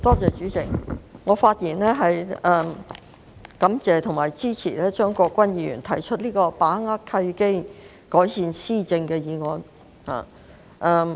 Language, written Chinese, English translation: Cantonese, 代理主席，我發言感謝和支持張國鈞議員提出的"把握契機，改善施政"議案。, Deputy President I speak to thank Mr CHEUNG Kwok - kwan for moving the motion on Seizing the opportunities to improve governance and give him my support